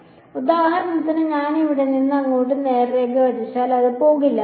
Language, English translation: Malayalam, So, for example, if I draw straight line from here to here it does not go